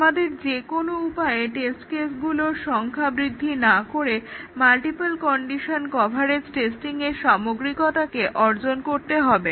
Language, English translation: Bengali, We need to somehow achieve the thoroughness of multiple condition coverage testing without really blowing up the number of test cases